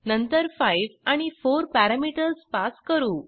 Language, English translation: Marathi, Then we pass the parameters as 5 and 4